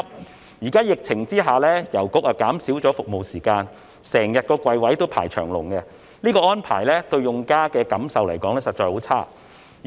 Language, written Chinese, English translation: Cantonese, 現時在疫情下，郵局減少了服務時間，櫃位經常有很多人輪候，這安排令用家感受十分差。, Under the present epidemic the post offices have cut down the service hours and there are often many people waiting at the counters which makes users feel very bad . Currently bank account opening can already be done online in Hong Kong